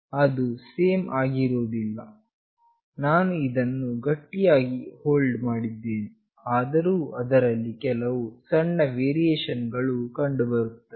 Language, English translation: Kannada, It is not the same although I have held it very tightly, but still there are some small variations